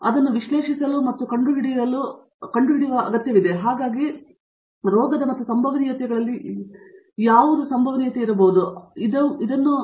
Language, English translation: Kannada, So, which need to be analyzed and unless to find out, so what could be the probabilities in for disease and all that, so these are the new recent